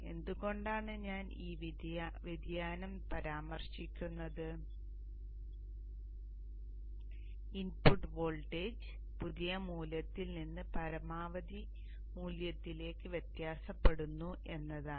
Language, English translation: Malayalam, This variation, why I am mentioning this variation is that the input voltage varies from a minimum value to a maximum value